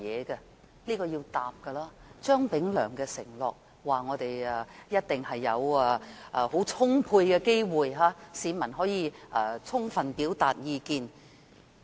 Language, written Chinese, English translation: Cantonese, 這是要回答的，張炳良承諾市民一定有充足的機會充分表達意見。, All these questions require answers and Anthony CHEUNG once undertook that members of the public would definitely be given ample opportunities to fully express their views